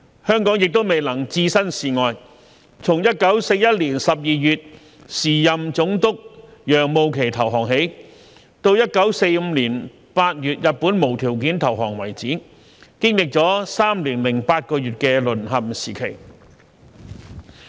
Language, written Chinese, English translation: Cantonese, 香港亦未能置身事外，從1941年12月時任總督楊慕琦投降起，直至1945年8月日本無條件投降為止，經歷了3年8個月的"淪陷時期"。, Hong Kong could not be spared from the war either . From the surrender of the then Governor Mark YOUNG in December 1941 to the unconditional surrender of Japan in August 1945 Hong Kong was under occupation for a period of three years and eight months